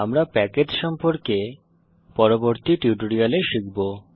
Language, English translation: Bengali, We will learn about packages in the later tutorials